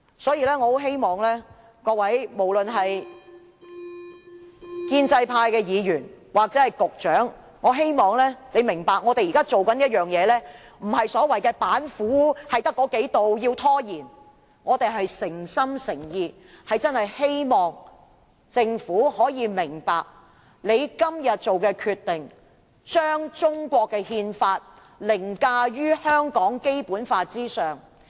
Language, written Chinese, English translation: Cantonese, 所以，無論是建制派議員或局長，我希望他們明白我們現在所做的事情，不是所謂的"只有幾道板斧"、目的是要拖延，我們是誠心誠意希望政府可以明白，政府今天做的這項決定，是將中國憲法凌駕於香港《基本法》之上。, Thus I hope that pro - establishment Members or the Secretary will understand what we are doing now . We are not employing the same old tactics for the purpose of procrastination . We sincerely hope that the Government can understand that in making this decision today it is actually putting the Constitution of China above the Basic Law of Hong Kong